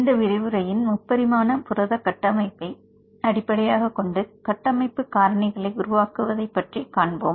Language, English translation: Tamil, In this lecture, I will continue on the development of structure based parameters using protein 3D structures